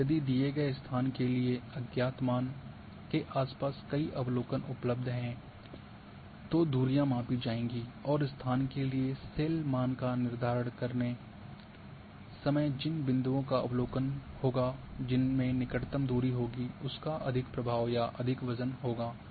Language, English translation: Hindi, Now if there are several observations are available around for unknown value for giving location then the distances will be measured and the points which will have observation which will have the closest distance will have more influence, more weight while determining the cell value for location